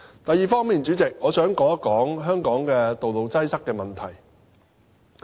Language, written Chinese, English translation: Cantonese, 第二方面，主席，我想說一說香港道路擠塞問題。, Second President I would like to discuss Hong Kongs traffic congestion problem